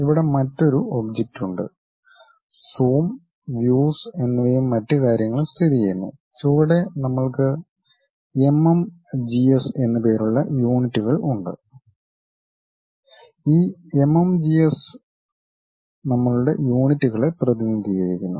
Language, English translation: Malayalam, There is another object here Zoom, Views and other things are located, and bottom we have units something named MMGS and this MMGS represents our units